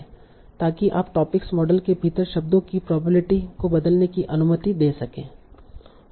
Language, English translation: Hindi, So, that is you are allowing to change the probabilities of words within the topic model